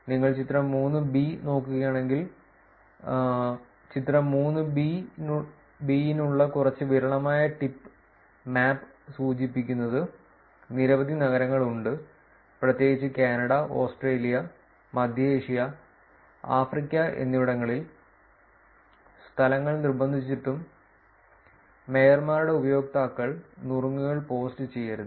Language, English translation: Malayalam, And if you look at the figure 3, somewhat sparser tip map for figure 3 indicates that there are many cities, particularly in Canada, Australia, and Central Asia, and Africa, where despite their insistence of venues and mayors' users do not post tips